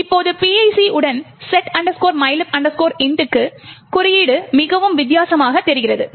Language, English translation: Tamil, Now with PIC, the code looks much different for setmylib int